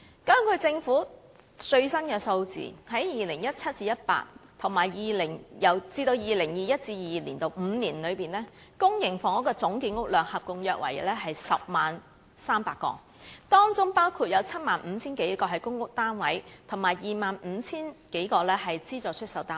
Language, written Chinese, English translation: Cantonese, 根據政府的最新數字，由 2017-2018 年度至 2021-2022 年度的5年內，公營房屋的總建屋量約為 100,300 個，當中包括 75,000 多個公屋單位和 25,000 多個資助出售單位。, According to the Governments latest figures in the five years from 2017 - 2018 to 2012 - 2022 the total public housing production will be about 100 300 units including 75 000 - odd PRH units and 25 000 - odd subsidized sale flats